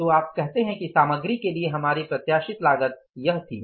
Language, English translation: Hindi, So, you would say that our anticipated cost for the material was this